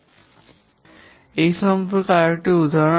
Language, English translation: Bengali, This is another example